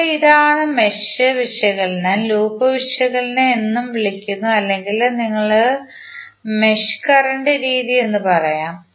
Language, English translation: Malayalam, Now this is; mesh analysis is also called loop analysis or you can say mesh current method